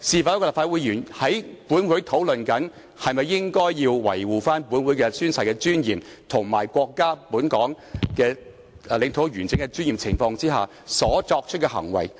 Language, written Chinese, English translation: Cantonese, 當立法會議員在本會討論維護本會宣誓的尊嚴及國家與香港領土完整的尊嚴的情況下，這又是否應該作出的行為呢？, Given the discussion among Legislative Council Members about safeguarding the dignity of oath - taking in this Council and the dignity of territorial integrity of the country and Hong Kong should he act like that?